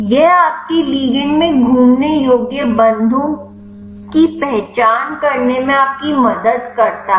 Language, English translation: Hindi, This helps you to identify the rotatable bonds in your ligand